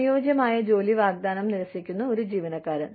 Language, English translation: Malayalam, An employee, who refuses an offer of suitable work